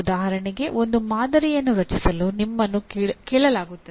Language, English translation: Kannada, For example you are asked to create a model